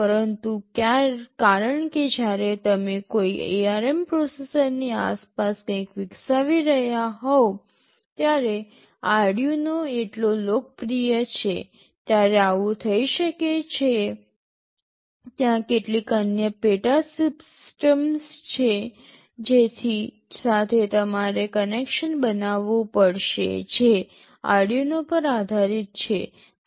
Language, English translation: Gujarati, But, because Arduino is so popular when you are developing something around an ARM processor, it may so happen there may be some other subsystems with which you have to make connections that are based on Arduino